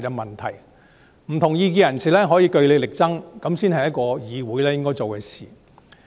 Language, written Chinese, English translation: Cantonese, 不同意見的人士可以據理力爭，這才是一個議會應該做的事。, People holding dissenting views can try to convince their opponents with arguments . It is what an assembly should do